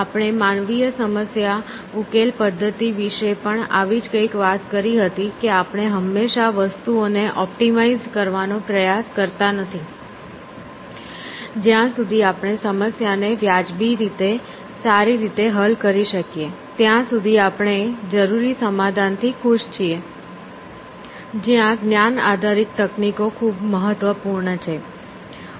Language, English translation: Gujarati, So, this is something that we had also mentioned about human problem solving, that we do not necessarily always try to optimize things, as long as we can solve the problem reasonably well, then we are happy with the solution essentially, which is where the knowledge base techniques are so important essentially